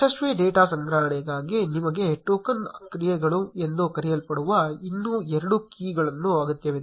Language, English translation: Kannada, For a successful data collection, you need a set of two more keys which is called token actions